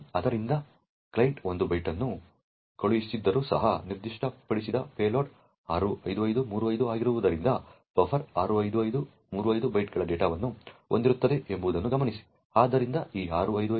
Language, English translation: Kannada, So, note that even though the client has sent 1 byte, since the payload specified was 65535 therefore the buffer would actually contain data of 65535 bytes